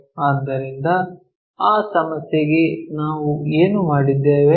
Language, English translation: Kannada, So, for that problem what we have done